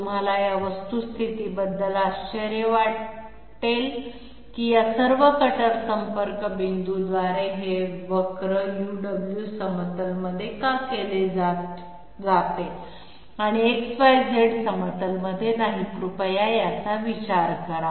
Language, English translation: Marathi, You might wonder about the fact, why is this curve through all these cutter contact points done on the UW plane and not on the XYZ plane, please think about this